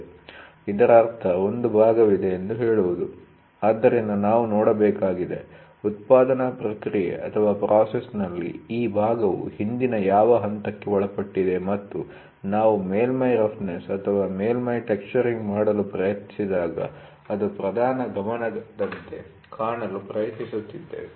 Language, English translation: Kannada, So that means, to say there is a part, so we have to see, what was the previous step in the manufacturing process this part has undergone and that is what we try to look as a prime focus, when we try to do surface roughness or surface texturing